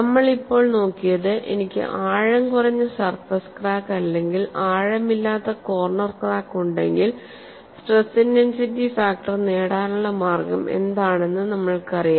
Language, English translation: Malayalam, What we have now looked at is, if I have a shallow surface crack or a shallow corner crack, we know what is the way to get the stress intensity factor